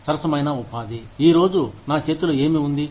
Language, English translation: Telugu, Fair employment says, today, what do i have in hand